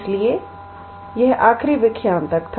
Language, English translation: Hindi, So, that was up until the last lecture